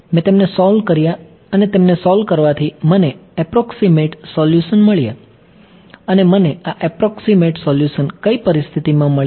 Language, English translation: Gujarati, I solved them and solving them gave me an approximate solution and under what conditions did I get this approximate solution